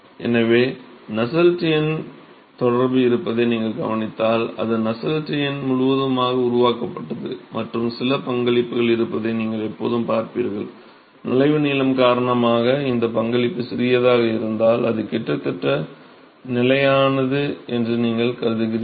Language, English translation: Tamil, So, if you notice the Nusselts number correlation, you will always see that it is Nusselts number fully developed plus some contribution, because of entry length, if this contribution is insignificant, so, you assume that it is almost constant that is all